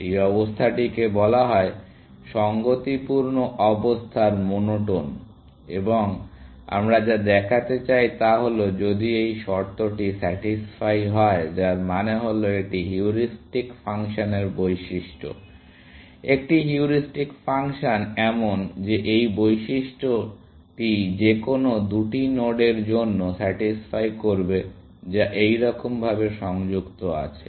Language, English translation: Bengali, This condition is called monotone of consistency condition, and what we want to show is that if this condition is satisfied, which means that it is the property of the heuristic function; a heuristic function is such, that this property is satisfied for any two nodes, which connected like this